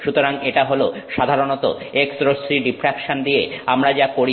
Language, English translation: Bengali, So, this is typically what we do with x ray diffraction